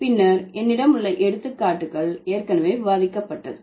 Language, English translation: Tamil, And then the examples I have already discussed